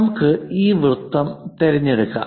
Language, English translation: Malayalam, Let us pick this object